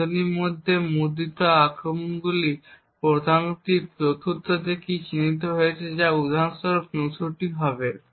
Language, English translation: Bengali, The values printed within the brackets are what the attack program has identified the 4th key which is 64 for instance